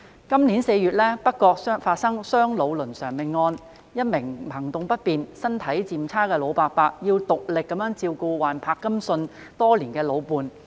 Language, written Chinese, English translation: Cantonese, 今年4月北角發生兩老倫常命案，一名行動不便、身體漸差的老伯伯要獨力照顧患柏金遜症多年的老伴。, In April this year a fatal family tragedy involving an elderly couple occurred in North Point . An elderly man with impaired mobility and deteriorating health had to look after his long - time spouse who had suffered from Parkinsons disease on his own for many years